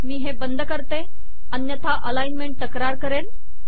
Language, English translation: Marathi, Let me close this otherwise alignment will complain